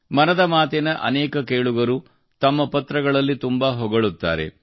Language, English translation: Kannada, Many listeners of 'Mann Ki Baat' shower praises in their letters